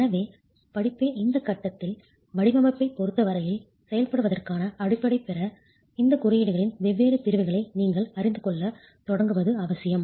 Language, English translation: Tamil, So it is essential that at this stage of the course, you start familiarizing yourself with different segments of these codes to have the basis to operate as far as the design is concerned